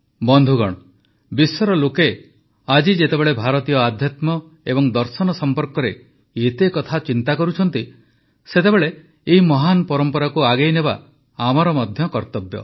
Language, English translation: Odia, when the people of the world pay heed to Indian spiritual systems and philosophy today, then we also have a responsibility to carry forward these great traditions